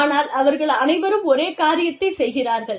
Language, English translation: Tamil, But, they are all doing, the same thing